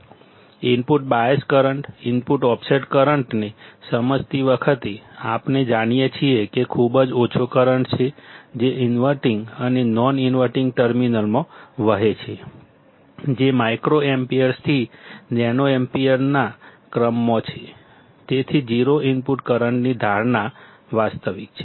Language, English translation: Gujarati, While understanding input bias current,; input offset current, we knowsaw that there is a very small current that flows into the inverting and non inverting terminals; which is in the order of microamps to nanoamps, hence the assumption of 0 input current is realistic